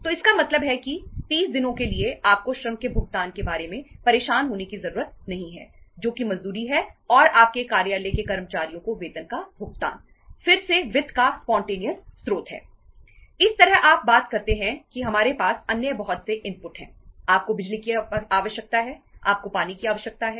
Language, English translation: Hindi, So it means for 30 days you donít need to bother about the payment of labour that is the wages and the payment of the salaries to your employees, office employees again is spontaneous source of finance